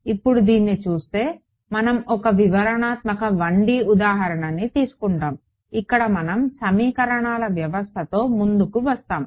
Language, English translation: Telugu, Now, looking at this so, I mean we will take a detailed 1 D example where we will we will come up with the system of equations